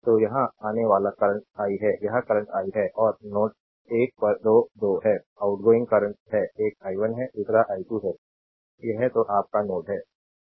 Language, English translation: Hindi, So, here the incoming current is i , this current is i and at node 1 are 2 2 are outgoing current, one is i 1, another is i 2 this is your node 1, right